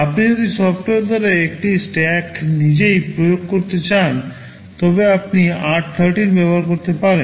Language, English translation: Bengali, If you want to implement a stack yourself by software, you can use r13 for the purpose